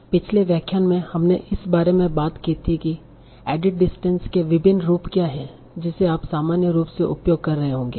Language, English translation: Hindi, So in the last lecture we talked about what are the various variations or various distance that you might be using in general